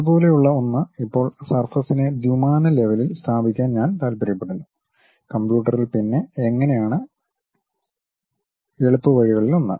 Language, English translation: Malayalam, Something like that now I want to really put surface in that at 2 dimension level, then how does computer the one of the easiest ways is